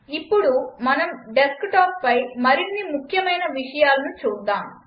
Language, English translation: Telugu, Now lets see some more important things on this desktop